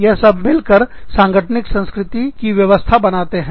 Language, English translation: Hindi, The first one is organizational culture